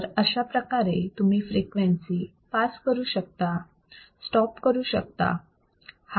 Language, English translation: Marathi, You can pass the frequency; you can stop the frequency